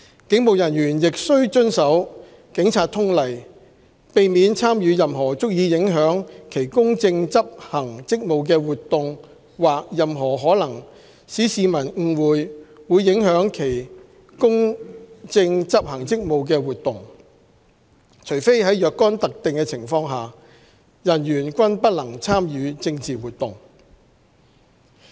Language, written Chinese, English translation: Cantonese, 警務人員亦須遵守《警察通例》，避免參與任何足以影響其公正執行職務的活動或任何可能使市民誤會會影響其公正執行職務的活動，除非在若干特定情況下，人員均不能參與政治活動。, Police officers should also comply with the Police General Orders in abstaining from any activity which is likely to interfere with the impartial discharge of hisher duties or which is likely to give rise to the impression amongst members of the public that it may so interfere . Except for in certain circumstances a police officer shall not participate in political activities